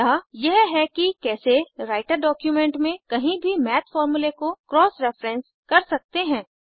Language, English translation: Hindi, So this is how we can cross reference Math formulae anywhere within the Writer document